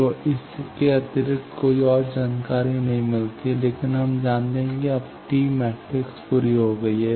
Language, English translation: Hindi, So, no extra information coming from this, but we know now T matrix completely